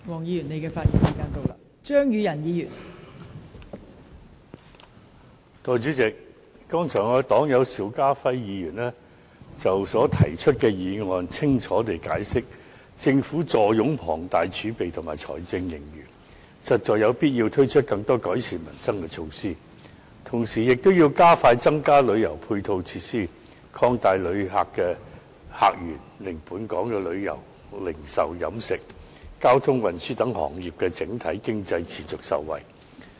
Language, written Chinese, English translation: Cantonese, 代理主席，剛才我的黨友邵家輝議員，已就他所提出的議案清楚地解釋，政府坐擁龐大儲備及財政盈餘，實在有必要推出更多改善民生的措施，同時亦要加快增加旅遊配套設施，擴大旅客客源，令本港旅遊、零售、飲食、交通、運輸等行業的整體經濟能持續受惠。, Deputy President my party comrade Mr SHIU Ka - fai has elaborated on the motion moved by him already . He explained clearly that given the Governments ample fiscal reserves and fiscal surpluses it is indeed necessary for the Government to launch more measures to improve peoples livelihood and at the same time expedite the provision of additional tourism supporting facilities and open up new visitor sources for the benefit of the tourism retail catering and transport sectors etc . and the overall economy of Hong Kong